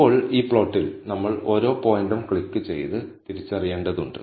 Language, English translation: Malayalam, Now, on this plot, we will need to click and identify each of the points